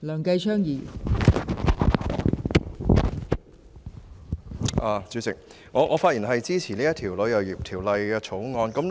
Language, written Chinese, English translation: Cantonese, 代理主席，我發言支持《旅遊業條例草案》。, Deputy President I speak in support of the Travel Industry Bill the Bill